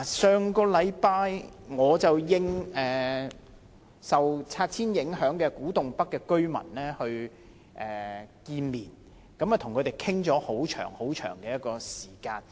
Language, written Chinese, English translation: Cantonese, 上星期，我應受拆遷影響的古洞北居民的要求，跟他們見面，與他們討論了很長時間。, Last week in response to the request of residents of Kwu Tung North who are affected by the clearance I met and discussed with them for a very long time